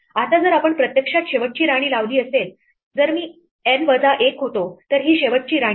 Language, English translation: Marathi, Now, if we have actually put the last queen, if I was N minus 1 then this is the last queen right